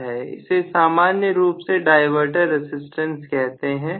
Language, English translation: Hindi, So, this is generally known as diverter resistance